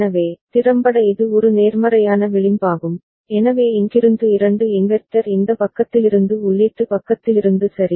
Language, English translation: Tamil, So, effectively it is a positive edge triggered right so, with two inverter from here from this side from the input side ok